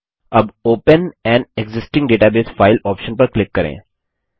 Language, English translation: Hindi, Let us now click on the open an existing database file option